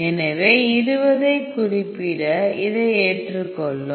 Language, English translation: Tamil, So, I am going to specify 20 and accept this